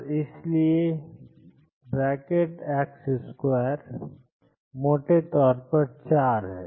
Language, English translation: Hindi, And therefore, x square is roughly 4